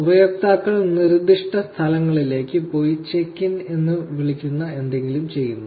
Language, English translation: Malayalam, Users go to specific locations and they do something called as check in